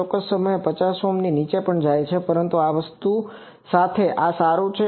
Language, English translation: Gujarati, Certain times it is going even below 50 Ohm, but this is good with the thing